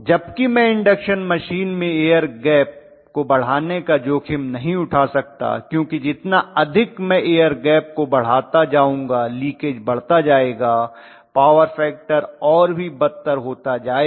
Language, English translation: Hindi, Whereas in induction machine I cannot afford to increase the air gap because the more I increase the air gap the leakage will increase, the power factor will become worse and worse